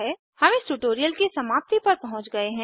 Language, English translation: Hindi, We have come to the end of this tutorial